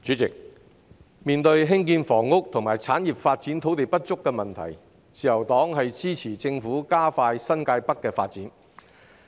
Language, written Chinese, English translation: Cantonese, 主席，面對興建房屋及產業發展土地不足的問題，自由黨支持政府加快新界北的發展。, President faced with the problem of shortage of land for housing and industrial development the Liberal Party supports the Government to expedite the development for New Territories North